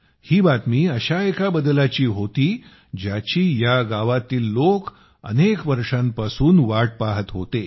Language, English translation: Marathi, This news was about a change that the people of this village had been waiting for, for many years